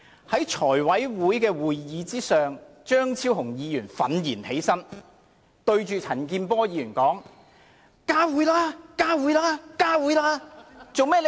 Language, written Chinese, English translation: Cantonese, 在某次財務委員會會議上，張超雄議員憤然起立並向着陳健波議員說："加會吧！, During a meeting of the Finance Committee Dr Fernando CHEUNG stood up in rage and yelled at Mr CHAN Kin - por More meetings!